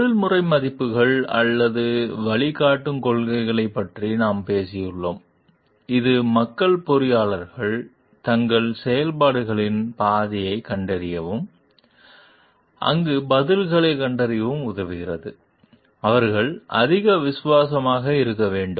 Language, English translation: Tamil, And we have talked about like the professional values or the guiding principles which helps the people engineers to like find out a path of their action and to find out the answer for their, whom they should be more loyal to